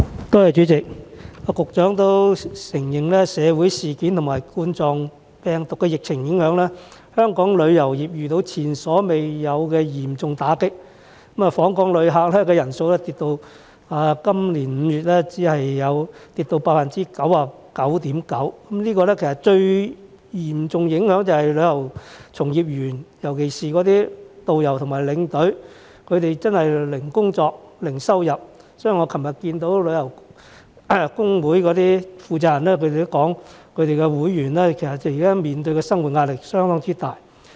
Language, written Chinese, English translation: Cantonese, 代理主席，局長也承認社會事件和2019冠狀病毒病的疫情影響，香港旅遊業受到前所未有的嚴重打擊，今年5月訪港旅客人次按年大跌 99.9%， 這嚴重影響旅遊從業員，尤其是導遊和領隊真的是零工作、零收入，所以我昨天與旅遊工會的負責人會面時，他們表示工會會員現時面對的生活壓力相當大。, Deputy President the Secretary also admits that the social incidents and COVID - 19 outbreak have taken an unprecedented heavy blow on the tourism industry resulting in a significant plummet of visitor arrivals by 99.9 % in May this year . This has had serious impact on the livelihood of the people working in the tourism industry especially tour guides and tour leaders as they are virtually having zero jobs and zero income . For that reason when I met with deputations of certain tourism unions yesterday they indicated that their members were under tremendous livelihood pressure